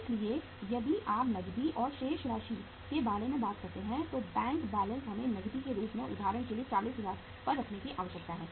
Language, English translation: Hindi, So if you talk about the cash and balances, bank balance we need to keep say for example 40000 as a cash